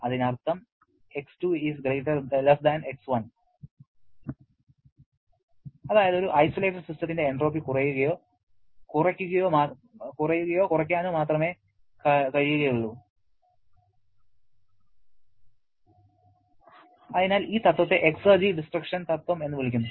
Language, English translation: Malayalam, Your X2 will always be less than X1, that is entropy of an isolated system can only reduce or decrease and therefore this principle is known as the principle of exergy destruction